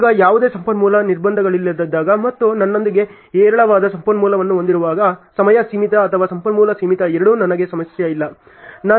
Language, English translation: Kannada, Now, when there is no resource constraints and I have abundant resource with me then both time limited or resource limited is not a problem for me ok